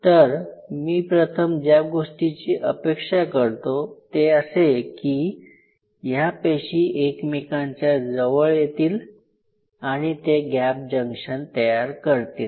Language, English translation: Marathi, So, the first thing what I anticipate for these cardiac cells to join with each other coming close and form those gap junctions